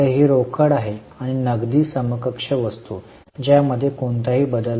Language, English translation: Marathi, So, it is cash and cash equivalent kind of item